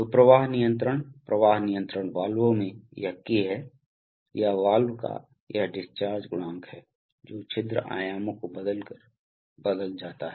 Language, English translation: Hindi, So the flow control, in flow control valves it is this K or this discharge coefficient of the valve which is changed by changing the orifice dimensions